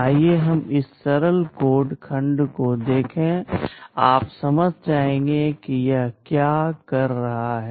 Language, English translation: Hindi, Let us look at this simple code segment; you will understand what this is doing